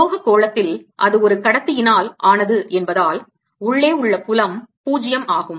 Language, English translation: Tamil, in a metallic sphere, because that's made of a conductor, the field inside would be zero, right